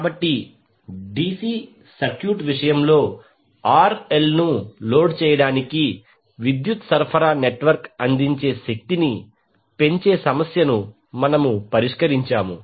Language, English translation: Telugu, So, in case of DC circuit we solve the problem of maximizing the power delivered by the power supplying network to load RL